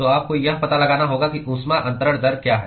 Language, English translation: Hindi, So, you need to find out what is the heat transfer rate